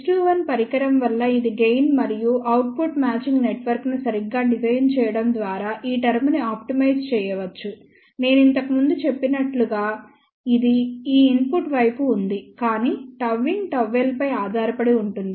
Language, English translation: Telugu, This is the gain because of that device S 2 1and this term can be optimized by properly designing output matching network, even though as I mentioned earlier this is this input side, but gamma in depends upon gamma L